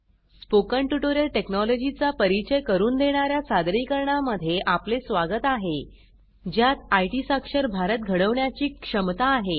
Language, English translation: Marathi, Welcome to a presentation that introduces the spoken tutorial technology that has the potential to make India IT literate